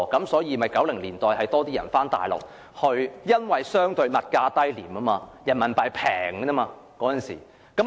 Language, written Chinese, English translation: Cantonese, 所以 ，1990 年代很多人回內地居住，因為內地相對物價低廉，人民幣低水。, Hence in the 1990s many people returned to the Mainland for living because of the relatively low commodity prices and the low conversion rate of Renminbi